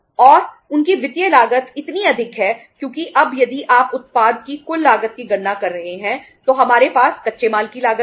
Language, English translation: Hindi, And their financial cost is so high because now if you are calculating the total cost of the product if you are calculating the total cost of the product, we have the raw material cost